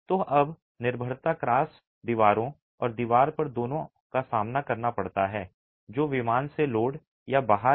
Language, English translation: Hindi, So, the dependence now is on both cross walls and the wall that is face loaded or out of plane